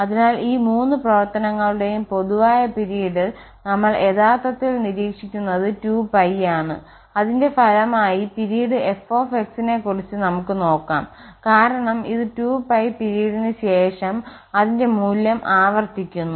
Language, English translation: Malayalam, So, the common period of all these 3 functions what we observe is actually a 2 pie and as a result we can tell something about the period of this fx because this is repeating its value after 2 pie period